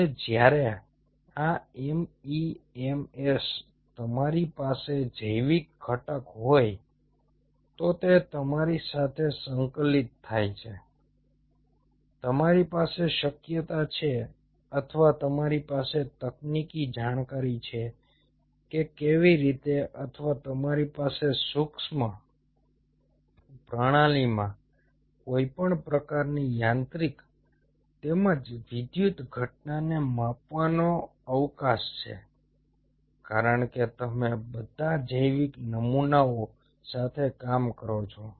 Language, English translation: Gujarati, and when on these mems you have a biological component integrate to it, you have the possibility or you have the technical know how, or you have a scope to measure any kind of mechanical as well as electrical phenomena in a micro system